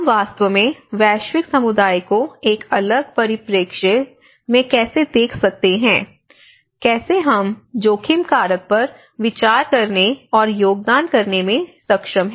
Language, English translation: Hindi, So, how we can actually look a global community in a different perspective know, how we are actually able to consider and contribute to the risk factor